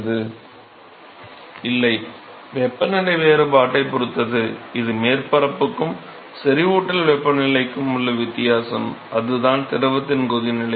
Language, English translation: Tamil, No depends upon the temperature difference, which is the difference between the surface and the saturation temperature, that is the boiling point of the fluid